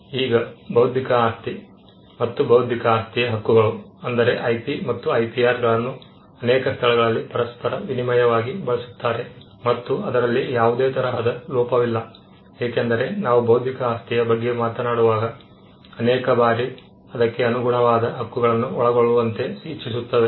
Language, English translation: Kannada, Now intellectual property and intellectual property rights that is IP and IPR are in most places used interchangeably and there is nothing wrong with that, because many a times when we talk about intellectual property we also want to cover or encompass the corresponding rights